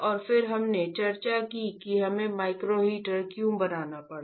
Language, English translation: Hindi, And then we discussed why we had to fabricate a micro heater